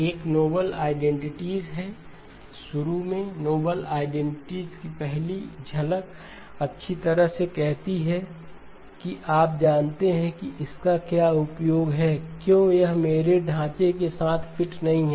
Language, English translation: Hindi, One is the noble identities, initially, first glance of the noble identity says well you know what use is this because it is not fitting in with my framework